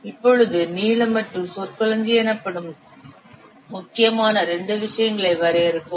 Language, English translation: Tamil, Now let's define two other things, important things called as length and vocabulary